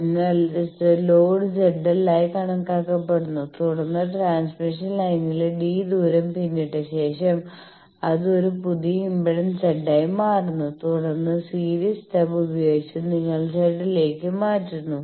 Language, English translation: Malayalam, So, the load is considered as Z l and then after traversing a distance d in the transmission line, it becomes a new impedance Z and then with the series stub you change that Z to Z naught